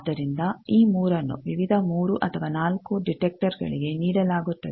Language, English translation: Kannada, So, these 3 is given 2 various, 3 or 4 number of detectors and then